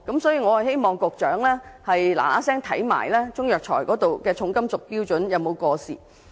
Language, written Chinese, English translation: Cantonese, 所以，我希望當局盡快審視中藥材的重金屬含量標準有否過時。, Therefore I hope the Government will expeditiously examine whether the standard on heavy metals content in Chinese herbal medicines is outdated